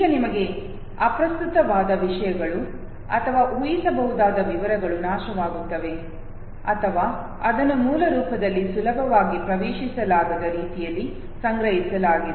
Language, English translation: Kannada, Now things which are irrelevant to us or details which are predictable they are either destroyed or they are stored in such a way that it is not readily accessible in its original form